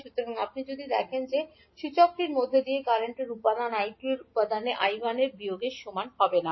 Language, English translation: Bengali, So, if you see that the component of current flowing through the inductor the component of I2 will be nothing but equal to minus of I1